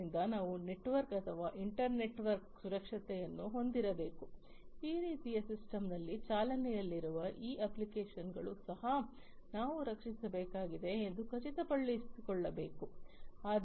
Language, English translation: Kannada, So, we need to have network or inter network security we also need to ensure that these applications that are running on the system like these ones these also will we will need to be protected